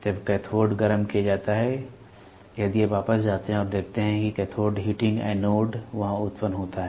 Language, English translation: Hindi, When the cathode is heated, if you go back and see cathode heating anode there grid are generated